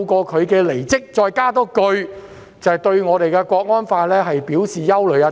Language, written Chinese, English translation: Cantonese, 她離職後補上一句話，指對《香港國安法》表示憂慮。, After she resigned she remarked that she had concern over the National Security Law